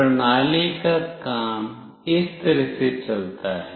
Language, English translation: Hindi, The working of the system goes like this